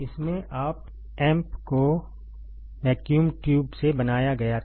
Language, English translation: Hindi, In this, the op amp was made out of vacuum tube ok, vacuum tube